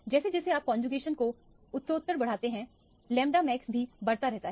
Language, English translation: Hindi, As you increase the conjugation progressively, the lambda max also keeps increasing